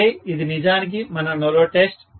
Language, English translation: Telugu, So, this is actually our no load test, right